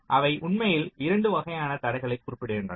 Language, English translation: Tamil, they actually specify two kinds of constraints